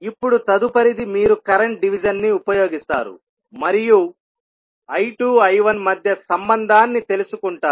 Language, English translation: Telugu, Now, next is you will use the current division and find out the relationship between I 2 and I 1